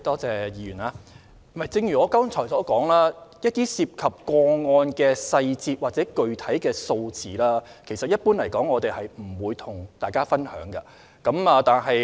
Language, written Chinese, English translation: Cantonese, 正如我剛才所說，涉及個案的細節或具體數字，一般是不會跟大家分享的。, As I just said we generally will not share the case details or the specific numbers with Members